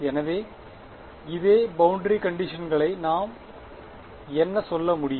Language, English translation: Tamil, So, we can say this such that same boundary conditions what can I say